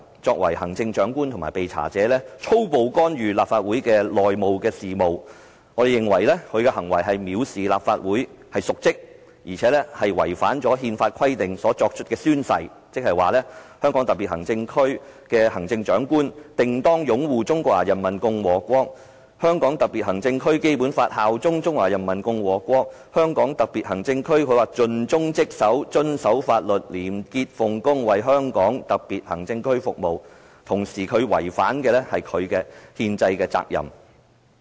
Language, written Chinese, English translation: Cantonese, 作為行政長官及被查者，他粗暴干預立法會的內部事務，我們認為他的行為是藐視立法會，是瀆職，而且違反他根據憲法規定作出的宣誓，即"香港特別行政區行政長官定當擁護《中華人民共和國香港特別行政區基本法》，效忠中華人民共和國香港特別行政區，盡忠職守、遵守法律、廉潔奉公，為香港特別行政區服務"，他也違反了他的憲制責任。, We consider that he has acted in contempt of the Legislative Council and in dereliction of his duty and he has also violated the oath taken in accordance with constitutional requirement ie . the Chief Executive of the Hong Kong SAR will uphold the Basic Law of the Hong Kong Special Administrative Region of the Peoples Republic of China bear allegiance to the Hong Kong Special Administrative Region of the Peoples Republic of China and serve the Hong Kong Special Administrative Region conscientiously dutifully in full accordance with the law honestly and with integrity . He has also violated his constitutional responsibilities